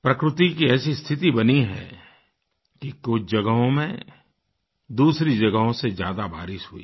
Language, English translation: Hindi, It's a vagary of Nature that some places have received higher rainfall compared to other places